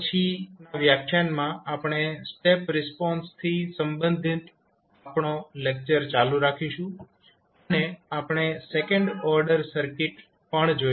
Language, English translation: Gujarati, So, in the next lecture we will continue our lecture related to step response and we will also see the second order circuits also